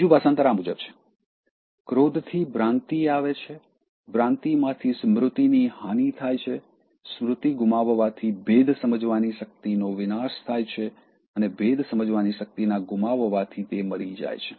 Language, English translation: Gujarati, ” This another translation that goes like this: “From anger comes delusion; from delusion the loss of memory; the loss of memory causes destruction of discrimination; and from the destruction of discrimination he perishes